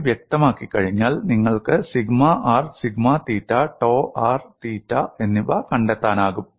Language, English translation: Malayalam, Once phi is specified, you could find sigma r sigma theta dou r theta